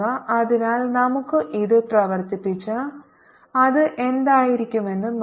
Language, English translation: Malayalam, so let's just work it out and see what it comes out to be